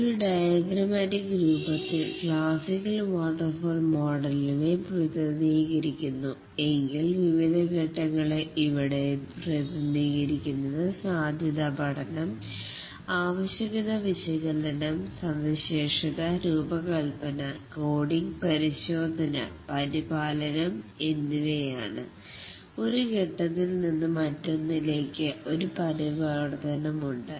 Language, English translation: Malayalam, If we represent the classical waterfall model in a diagrammatic form, we can see that the different phases are represented here, feasibility study, requirement analysis, specification, design, coding, testing and maintenance and there is a transition from one phase to the other